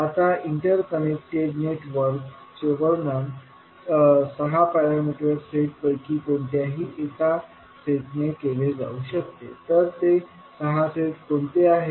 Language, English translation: Marathi, Now, although the interconnected network can be described by any of the 6 parameter sets, what were those